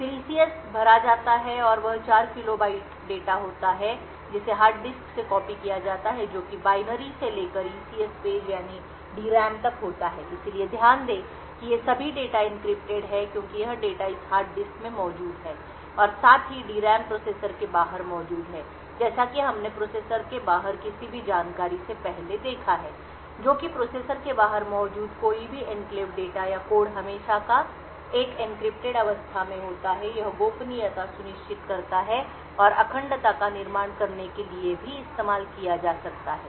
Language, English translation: Hindi, Then the ECS is filled and that is 4 kilo bytes of data which is copied from the hard disk that is from the applications binary to the ECS page that is to the DRAM so note that all of these data encrypted because this data present in this hard disk as well as the DRAM is present outside the processor and as we have seen before any information outside the processor which is any enclave data or code present outside the processor is always in an encrypted state this ensures confidentiality and could also be used to build integrity